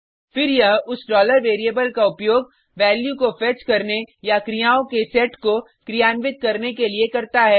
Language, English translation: Hindi, Then it will use that $variable to fetch the value or to perform a set of actions